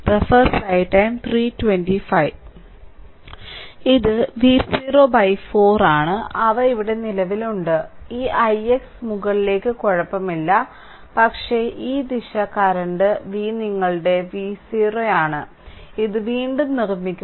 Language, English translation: Malayalam, It is V 0 by 4 these are current right here, this i i x is upward is ok, but this direction current is V your V 0 V let me clear it, I make it again